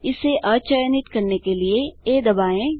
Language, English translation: Hindi, Press A to deselect it